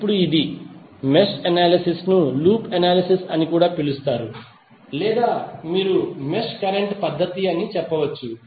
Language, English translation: Telugu, Now this is; mesh analysis is also called loop analysis or you can say mesh current method